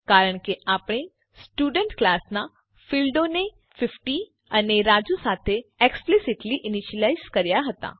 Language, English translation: Gujarati, This is because we had explicitly initialized the fields of the Student class to 50 and Raju